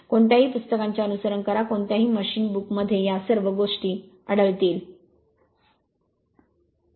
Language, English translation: Marathi, You follow any book any any any machine book you will find all these things are there with this